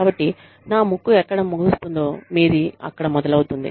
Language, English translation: Telugu, So, my nose ends, where yours begins